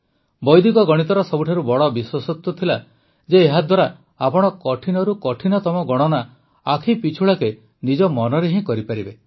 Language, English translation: Odia, The most important thing about Vedic Mathematics was that through it you can do even the most difficult calculations in your mind in the blink of an eye